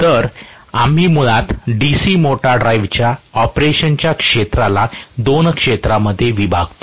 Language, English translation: Marathi, So, we basically divide the region of operation of the D C motor drive into 2 regions